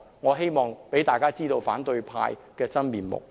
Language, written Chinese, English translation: Cantonese, 我希望讓公眾知道反對派的真面目。, I want to show the public the true faces of opposition Members